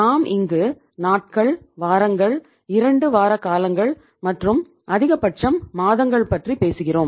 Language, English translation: Tamil, We are talking about say days, weeks, fortnights and maximum months